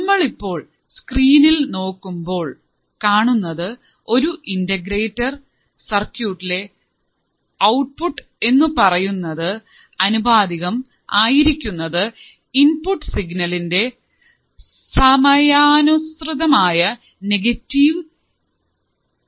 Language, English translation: Malayalam, So, if you come to the screen what you see is an integrator circuit whose output is proportional to the negative integral of the input signal with respect to time